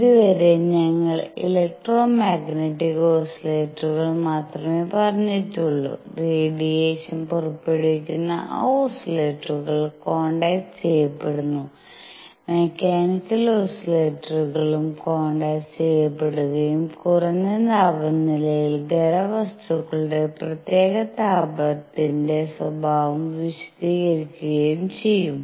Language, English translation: Malayalam, So, far we have said only electromagnetic oscillators, those oscillators that are giving out radiation are quantized, we will see that mechanical oscillators will also be quantized and they explain the behavior of specific heat of solids at low temperatures